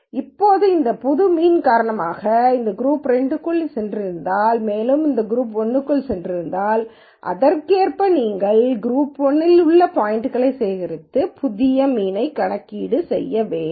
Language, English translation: Tamil, Now, if it were the case that because of this new mean let us say for example, if this had gone into group 2 and let us say this and this had gone into group 1 then correspondingly you have to collect all the points in group 1 and calculate a new mean collect all the points in group 2 and calculate a new mean